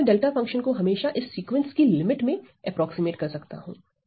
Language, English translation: Hindi, So, I can always approximate my delta function as a limit of this sequence what is this sequence